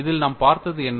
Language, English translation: Tamil, And, in this, what we saw